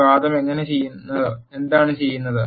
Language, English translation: Malayalam, What this argument does is